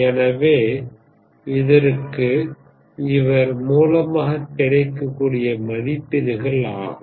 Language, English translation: Tamil, So these are the ratings that are available